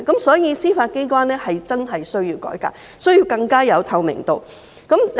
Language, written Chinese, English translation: Cantonese, 所以，司法機關真的需要改革，需要有更大的透明度。, For this reason the judiciary really needs a reform and greater transparency